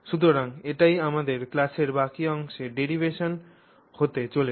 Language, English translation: Bengali, So, that is what our derivation in the rest of the class is going to be